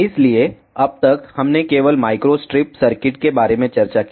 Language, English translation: Hindi, So, up to now we discussed about Micro Strip Circuits only